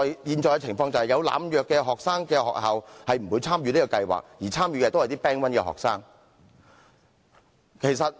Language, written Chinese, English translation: Cantonese, 現時有學生濫藥的學校不會參與這個計劃，而參與的都是一些 Band 1學生。, Schools currently having student drug abusers will not participate in the scheme and the participants were all Band One students